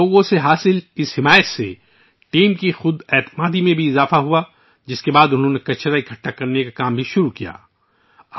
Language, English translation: Urdu, The confidence of the team increased with the support received from the people, after which they also embarked upon the task of collecting garbage